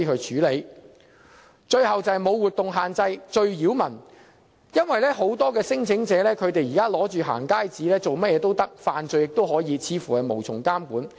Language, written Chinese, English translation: Cantonese, 最後是"無活動限制"，這是最擾民的，因為很多聲請人拿着"行街紙"做甚麼也可以，甚至可以犯罪，似乎無從監管。, Finally it is most disturbing to local communities that the claimants are not restricted on their movements . Many claimants can effectively do anything holding a going - out pass . They can even commit crimes as if there is no regulation in place